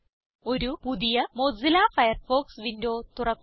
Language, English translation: Malayalam, * Open a new Mozilla Firefox window, * Go to five new sites